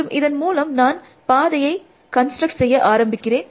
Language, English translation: Tamil, And so I start constructing the path, I say I had